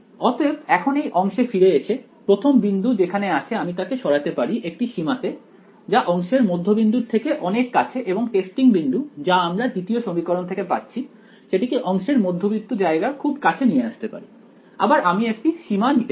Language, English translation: Bengali, So, now, coming back to this one segment over here the first point over here I can move it in a limit very close to the midpoint of the segment and the testing point from the 2nd equation I can move it very close to the middle of the segment, again I can take a limit ok